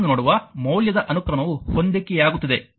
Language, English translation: Kannada, What I am see that power value sequence is matching